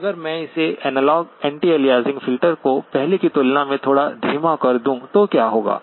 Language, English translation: Hindi, Now if I allow my analog anti aliasing filter to be a little sloppier than before, what will happen